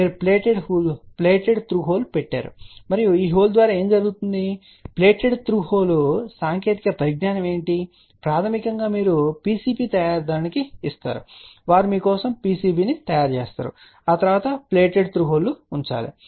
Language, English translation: Telugu, You put a plated through hole and through this hole what happens and what is the plated through hole technology, basically you can give it to the PCB manufacturer who will fabricate PCB for you and you actually have to put the plated through hole